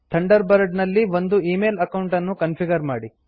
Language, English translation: Kannada, Configure an email account in Thunderbird